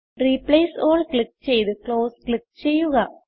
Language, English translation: Malayalam, Now click on Replace All and click on Close